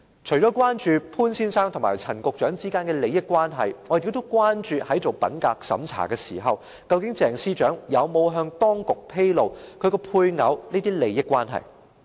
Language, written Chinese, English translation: Cantonese, 除了關注潘先生和陳局長之間的利益關係，我們也關注在做品格審查時，究竟鄭司長有否向當局披露她的配偶的這些利益關係。, Apart from being concerned about the entanglement of interests between Mr POON and Secretary Frank CHAN we are also concerned about whether Ms CHENG disclosed the entanglement of interests on the part of her spouse during the integrity check